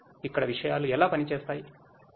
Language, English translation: Telugu, Like how things work over here